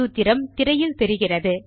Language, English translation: Tamil, And the formula is as shown on the screen